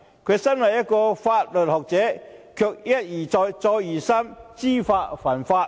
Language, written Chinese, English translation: Cantonese, 他身為一名法律學者，卻一而再、再而三知法犯法。, As a jurisprudent he has advertently broken the law over and again